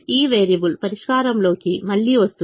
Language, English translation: Telugu, again this variable comes into the solution